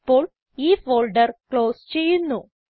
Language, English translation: Malayalam, Let me close this folder now